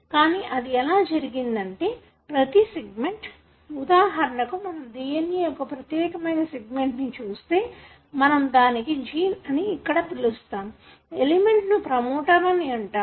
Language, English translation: Telugu, So, the way it is done is that every segment, for example if we look into this particular segment of the DNA and that you call as the gene here and this has got an element called as promoter